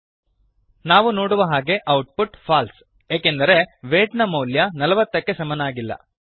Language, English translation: Kannada, Save and Run As we can see, the output is False because the value of weight is not equal to 40